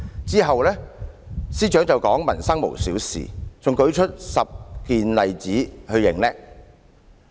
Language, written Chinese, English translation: Cantonese, "之後司長亦說"民生無小事"，還列舉10個例子逞強。, The Secretary has also said Nothing about peoples livelihood is trivial . He also cites 10 examples to show his strength